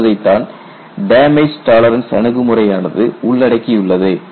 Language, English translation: Tamil, That is what damage tolerance approach encompasses